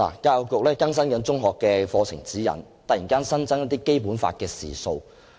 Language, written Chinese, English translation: Cantonese, 教育局正更新《中學教育課程指引》，突然新增一些《基本法》的時數。, The Education Bureau is updating the Secondary Education Curriculum Guide and some teaching hours for the Basic Law are suddenly added